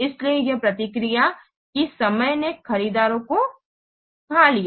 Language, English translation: Hindi, So response time deteriorate the purchasers